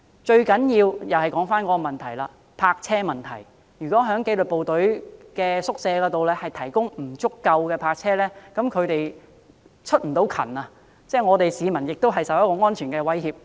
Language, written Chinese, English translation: Cantonese, 最重要的仍然是泊車問題，如果紀律部隊宿舍未能提供足夠泊車位，以致紀律部隊人員未能出勤，會令市民受到安全威脅。, The most important problem however is still the provision of parking spaces . If the lack of parking spaces in disciplined services quarters hampers disciplined services staff from carrying out their call - out operations peoples safety will be at risk